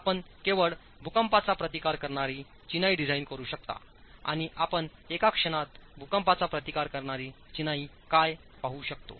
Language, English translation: Marathi, You can only design, you can only design seismic resisting masonry and we will look at what is seismic resisting masonry in a moment